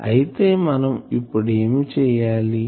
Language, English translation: Telugu, So, what we have done